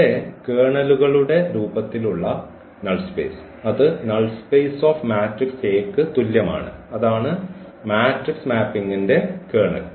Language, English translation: Malayalam, So, here the null space in the form of the kernels is same as the null space of a that is the kernel of the matrix mapping